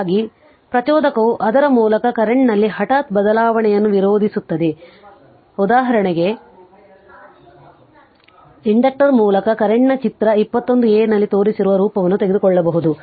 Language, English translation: Kannada, Thus, an inductor opposes an abrupt change in the current through it; for example, the current through an inductor may take the form shown in figure 21a